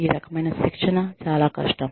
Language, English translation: Telugu, This type of training, is very difficult